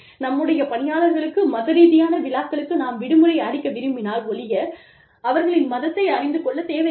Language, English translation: Tamil, We do not need to know, the religion of our employees, unless, we intend to give them, religious holidays